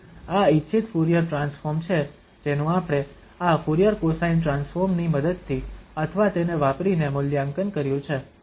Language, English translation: Gujarati, So, this is the desired Fourier transform we have evaluated using or with the help of this Fourier cosine transform